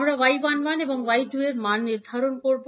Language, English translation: Bengali, So, you got y 11 and y 21 from this circuit